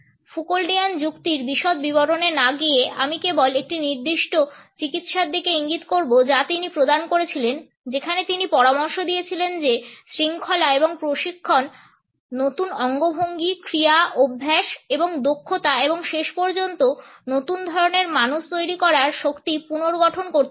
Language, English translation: Bengali, Without going into the details of a Foucauldian argument I would simply point out to a particular treatment which he had paid wherein he had suggested that discipline and training can reconstruct power to produce new gestures, actions, habits and skills and ultimately new kinds of people